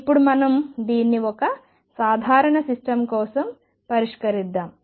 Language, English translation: Telugu, Now let us solve this for a simple system